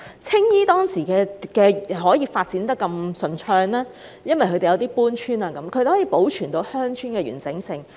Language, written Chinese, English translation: Cantonese, 青衣當年可順利發展，正是因為鄉村可透過搬遷而得以保存其完整性。, It is exactly because the integrity of rural villages could be preserved through relocation that the Government was able to carry out development smoothly in Tsing Yi back then